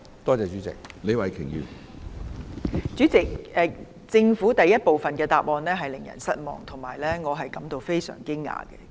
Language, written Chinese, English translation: Cantonese, 主席，政府的主體答覆第一部分令人失望，也令我感到非常驚訝。, President part 1 of the Governments main reply is disappointing and I am very surprised at that